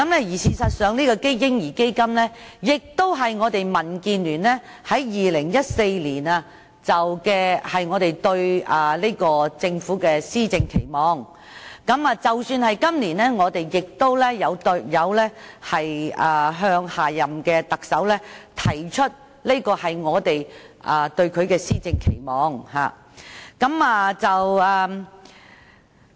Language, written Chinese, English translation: Cantonese, 事實上，這個"嬰兒基金"也是我們民主建港協進聯盟在2014年對政府的施政期望，即使在今年，我們亦有向下任特首提出這個施政期望。, In fact a baby fund is the expectation of the Democratic Alliance for the Betterment and Progress of Hong Kong DAB for the implementation of policies by the Government in 2014 . We have also raised this expectation with the next Chief Executive this year